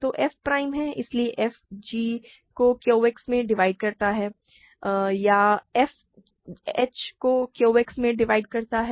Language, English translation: Hindi, So, f is prime so, f divides g in Q X or f divides h in Q X